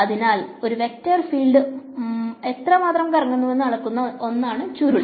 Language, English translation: Malayalam, So, the curl is something that measures how much a vector field is swirling